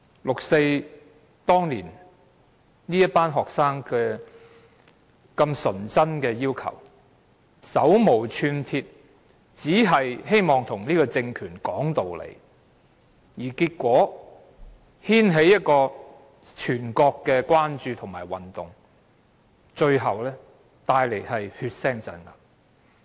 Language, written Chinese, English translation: Cantonese, 六四那年，這群學生這麼純真的提出要求，手無寸鐵，只是希望跟這個政權說道理，結果牽起一個全國關注的運動，最後帶來血腥鎮壓。, Back then the group of unarmed students had innocently put forward their requests only to reason with the government . Their actions had however led to a movement which aroused the concern of the whole country and finally resulted in a bloody crackdown